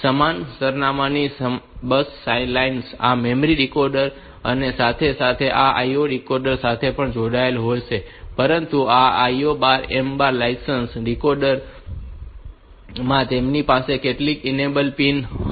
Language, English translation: Gujarati, The same address bus lines will be connected to this memory decoder as well as this IO decoder and, but this IO M bar lines, this decoders they will have some enable pin